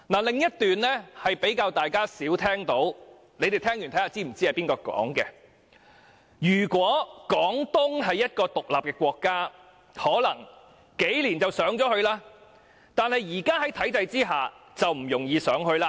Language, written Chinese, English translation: Cantonese, 另一段說話是大家較少聽到的，大家聽完後，可以告訴我是否知道是誰說的："如果廣東是一個獨立的國家，可能幾年就上去了，但是在現在的體制下，就不容易上去了。, The other quotation is heard less often . After hearing it Members may tell me if they know who said to this effect If Guangdong was an independent state it might rise in just a few years . But under the present system it is not easy for it to rise